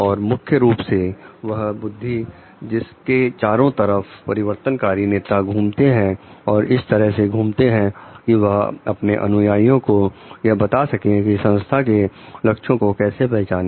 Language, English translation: Hindi, And the main like by wit around which the transformational leadership rotates like and it moves in the way like it tells the followers to identify with the organizational goals